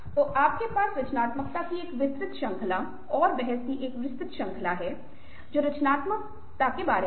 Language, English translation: Hindi, so you have a wide range of definitions of creativity and ah wide range of ah, ah debates as well about what is creative, what is not creative and how to define it